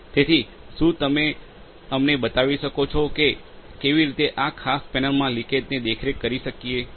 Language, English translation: Gujarati, So, can you show us how we can monitor leakage in this particular panel